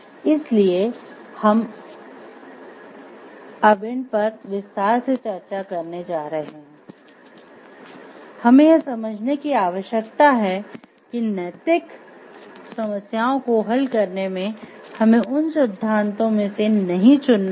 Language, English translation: Hindi, So, we are going to discuss those now in details, so what we having to understand that in solving ethical problems we do not have to choose from among those the theories